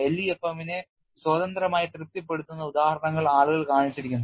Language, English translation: Malayalam, People have shown examples where it satisfies LEFM independently